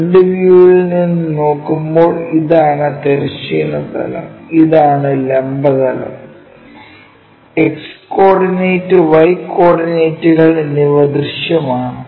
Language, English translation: Malayalam, When we are looking top view this one, this is the horizontal plane and this is the vertical plane, X coordinate, Y coordinates visible